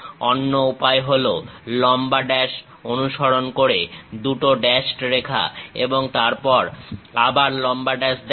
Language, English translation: Bengali, The other way is showing long dash followed by two dashed lines and again long dash